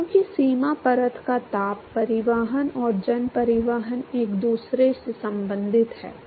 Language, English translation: Hindi, Because the heat transport and mass transport of the boundary layer are related to each other